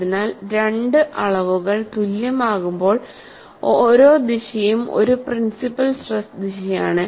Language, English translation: Malayalam, So, when two quantities are equal, every direction is a principle stress direction